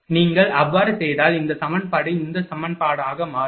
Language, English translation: Tamil, If you do so, then this equation becomes this equation